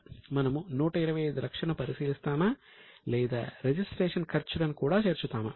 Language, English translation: Telugu, Will we consider 125 or we will add registration charges also